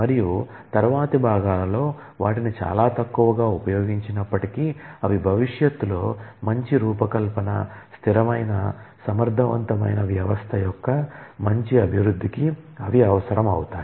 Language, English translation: Telugu, And in the later parts will be relatively little advanced, but they are required for good design and good development of consistent efficient system in future